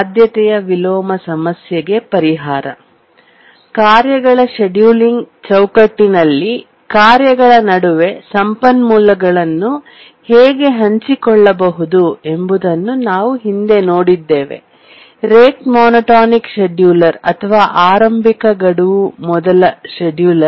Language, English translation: Kannada, In the last lecture, we are looking at how resources can be shared among tasks in the framework of tasks scheduling may be a rate monotonic scheduler or an earliest deadline first scheduler